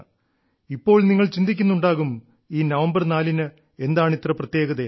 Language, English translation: Malayalam, Now, you would be wondering, what is so special about 4th of November